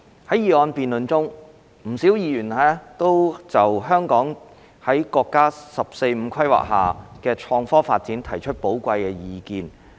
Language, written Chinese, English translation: Cantonese, 在議案辯論中，不少議員就香港在國家"十四五"規劃下的創科發展提出寶貴意見。, During the motion debate a number of Members have presented valuable views on Hong Kongs innovation and technology IT development under the National 14th Five - Year Plan